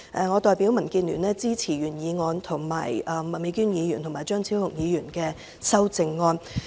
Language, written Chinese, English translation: Cantonese, 我代表民主建港協進聯盟支持原議案，並支持麥美娟議員及張超雄議員的修正案。, On behalf of the Democratic Alliance for the Betterment and Progress of Hong Kong DAB I speak in support of the original motion and the amendments proposed by Ms Alice MAK and Dr Fernando CHEUNG